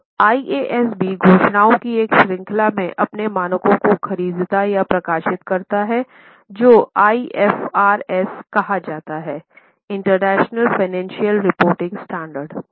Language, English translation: Hindi, Now, IASB publishes standards in a series of pronouncements which are called as IFRS, International Financial Reporting Standard